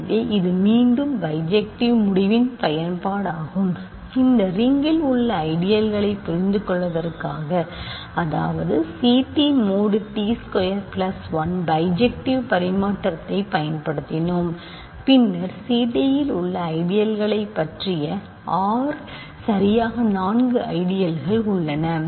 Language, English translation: Tamil, So, this is again an application of bijective correspondence result, in order to understand ideals in that ring R; namely C t mod t squared plus 1 we have used bijective correspondence and then our knowledge about ideals in C t to conclude that R has exactly four ideals